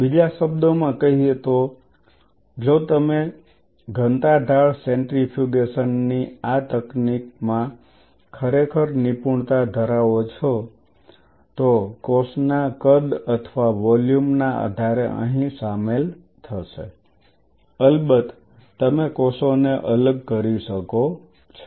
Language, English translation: Gujarati, In other word if you really master this technique of density gradient centrifugation depending on the size or the volume of the cell size includes here of course, there you can separate out the cells